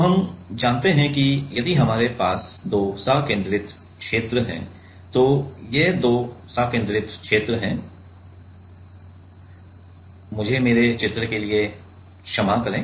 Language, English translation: Hindi, So, we know that if we have a two concentric sphere so, these are the two concentric sphere forgive me for my drawing